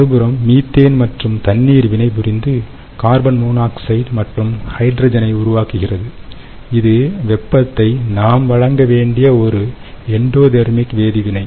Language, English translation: Tamil, on the other hand, when methane and water reacts and form carbon monoxide and hydrogen, which is what is happening here in this schematic, then it is an endothermic reaction